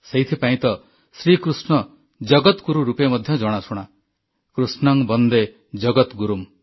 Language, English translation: Odia, And that is why Shri Krishna is known as Jagatguru teacher to the world… 'Krishnam Vande Jagadgurum'